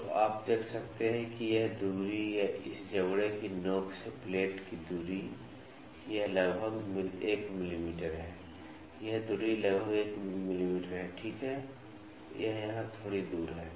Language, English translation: Hindi, So, you can see that this distance or the distance of the plate from the tip of this jaw, this is about 1 mm this distance is about 1 mm, ok, this is a small distance here